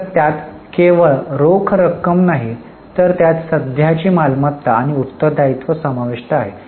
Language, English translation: Marathi, So, it is not just cash, it includes the current assets and liabilities